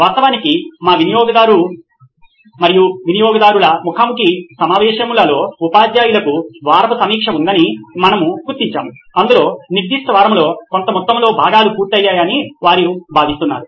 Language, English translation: Telugu, In fact in our customer and stake holder interviews,we have also come to identify that teachers have a weekly review wherein they are expected to see that certain amount of portions are completed in that particular week